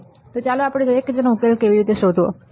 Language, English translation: Gujarati, So, let us see how we can find the solution